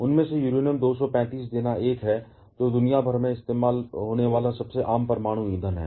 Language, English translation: Hindi, Out of them Uranium 235 give is the one, which is the most common nuclear fuel that is used worldwide